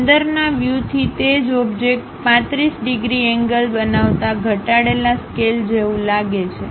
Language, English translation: Gujarati, Inside view the same object looks like a reduce scale making 35 degrees angle